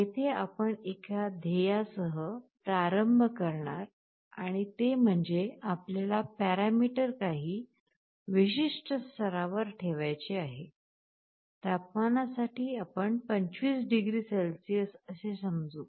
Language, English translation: Marathi, Here we start with a goal, goal means we want to maintain the parameter at some particular level; for temperature let us say, it is 25 degrees Celsius